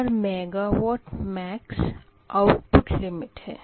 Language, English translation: Hindi, and mega watt max is the output limit